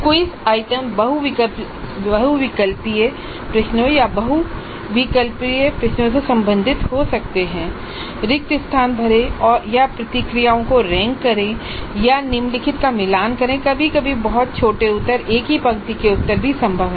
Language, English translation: Hindi, The quiz items can belong to multiple choice questions or multiple select questions, fill in the blanks or rank order the responses or match the following, sometimes even very short answers, one single line kind of answers are also possible